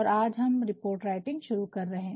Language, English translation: Hindi, And, today we are going to start report writing